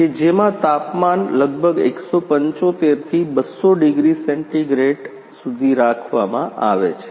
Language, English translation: Gujarati, Which temperature is around 175 to 200 degree centigrade